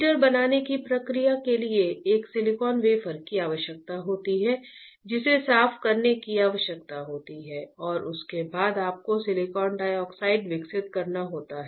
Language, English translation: Hindi, The process for fabricating the heater requires a silicon wafer which needs to be clean, right and followed by you have to grow silicon dioxide